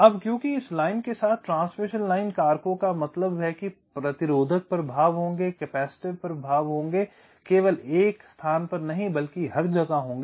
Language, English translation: Hindi, now, because of transmission line factors means along this line there will be resistive effects, there will be capacitive effects, not in one place all throughout